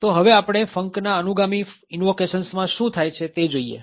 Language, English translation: Gujarati, So, now let us look at what happens on subsequent invocations to func